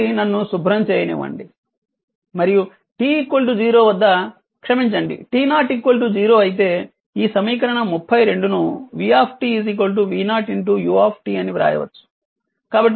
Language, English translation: Telugu, So, let me clear it and at t is if t is equal to 0, if t 0 sorry if t 0 is equal to 0 then this 32 can be written as v t is equal to v 0 into u t right